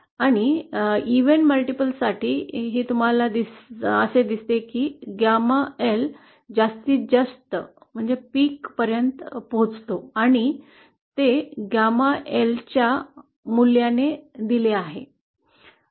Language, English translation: Marathi, and for even multiples you see that gamma in reaches a maximum value and that is given by the value of gamma L